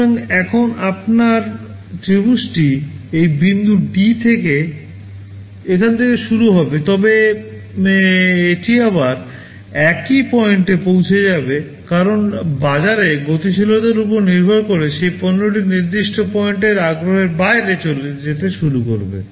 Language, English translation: Bengali, So, now, your triangle starts from here at this point D, but it will again reach the peak at the same point because depending on market dynamics beyond a certain point interest in that product will start to go down